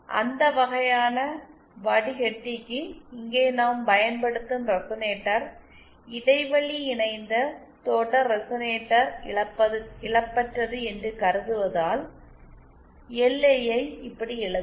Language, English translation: Tamil, For that kind of filter since here we are assuming that the resonator we are using, this gap coupled series resonator is lossless, hence LI can be written like this